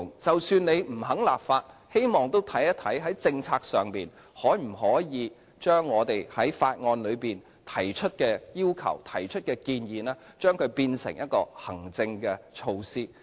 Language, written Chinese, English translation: Cantonese, 即使政府不肯立法，都希望研究在政策上可否把我們在法案內提出的要求和建議變成行政措施。, Even if the Government refuses to enact legislation I hope the Government will study in terms of policymaking whether they can formulate administrative measures based on the requests and recommendations in our bill